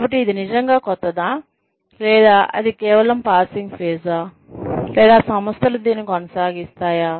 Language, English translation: Telugu, So, is that really something new, or something that is, just a passing phase, or, will organizations, continue to do that